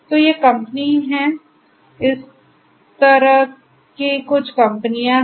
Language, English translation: Hindi, So, these are the company, this is some of the companies like this